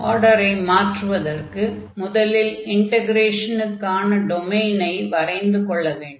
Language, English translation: Tamil, So, for changing the order we have to now draw this order of integration or the domain of this integration here